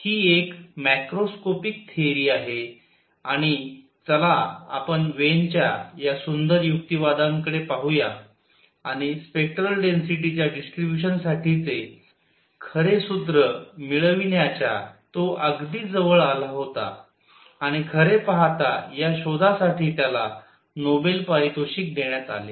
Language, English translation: Marathi, It is a macroscopic theory and let us look at these beautiful arguments by Wien and he came very very close to obtaining the true formula for the distribution of spectral density and he was actually awarded Nobel Prize for this discovery